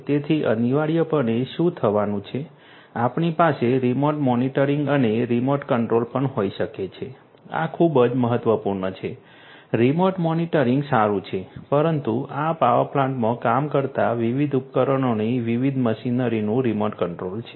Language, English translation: Gujarati, So, essentially what is going to happen is, we can also have remote monitoring and remote control this is very very important remote monitoring is fine, but remote control of the different machinery of the different equipments that are working in these power plants